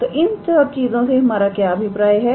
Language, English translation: Hindi, So, what do we mean by these things